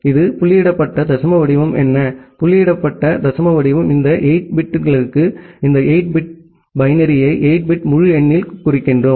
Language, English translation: Tamil, What is this dotted decimal format, the dotted decimal format is that for this 8 bits, we represent this 8 bit binary in a 8 bit integer